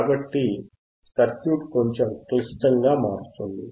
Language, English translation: Telugu, So, circuit becomes little bit more complex